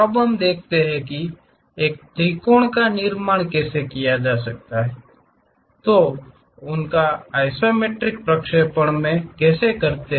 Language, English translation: Hindi, Now, let us look at how to construct a triangle and what are those isometric projections